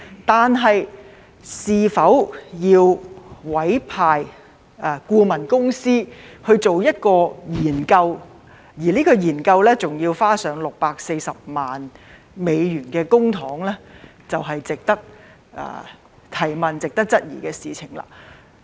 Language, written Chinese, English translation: Cantonese, 但是，是否要委聘顧問公司去做研究，而且還要花上640萬美元的公帑，這是令人質疑的事情。, However is it necessary to engage a consultant to conduct a study at a cost of US6.4 million in public money? . This is questionable